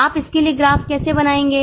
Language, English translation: Hindi, How will you draw a graph for it